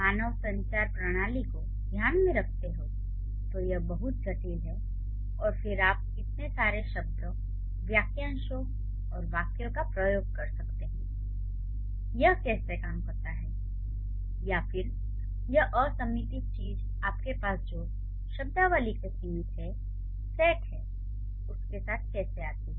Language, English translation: Hindi, Considering the human communication system is so complex and then you use so many words and phrases and sentences, how does it work or how this unlimited thing comes with the limited set of vocabulary that you have